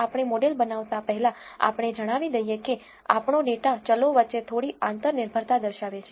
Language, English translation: Gujarati, Before we go on building a model let us say if our data exhibits some interdependency between the variables